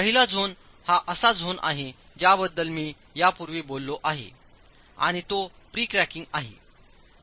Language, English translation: Marathi, The first zone is the zone that I have spoken about earlier and that's pre cracking